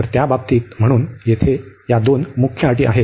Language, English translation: Marathi, So, in that case so these are the two main conditions here